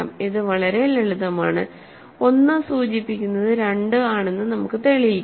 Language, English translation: Malayalam, So, I will prove this is very simple, so let us prove 1 implies 2